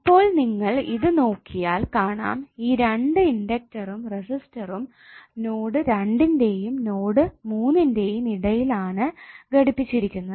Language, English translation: Malayalam, Now if you see this two inductors and resistors both are connected between node 2 and node3, why